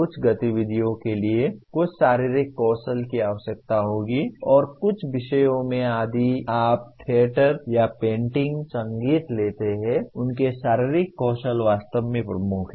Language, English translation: Hindi, Certain activities will require some physical skills and in some subjects if you take theater or painting, music; their physical skills really are dominant